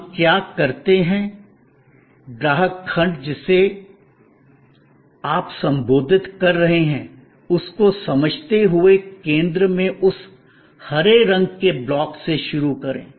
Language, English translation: Hindi, Not, what we do, but start with that green block in the center, understanding the customer segment that you are addressing